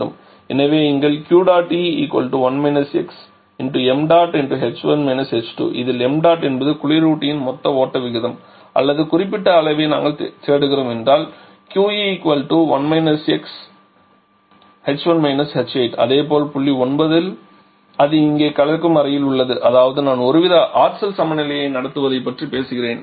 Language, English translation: Tamil, So, here it will be 1 x into total refrigerant flow rate into h 1 – h 8 or if we are looking for specific effect it is 1 x into h 1 – h 8 and similarly at point number 9 that is in the mixing chamber here that is I am talking about we are having some kind of energy balance going on